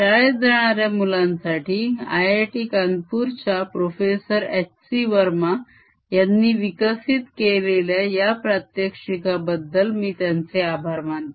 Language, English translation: Marathi, i want to acknowledge professor h c verma at i i t kanpur, who has developed these demonstrations for school going kids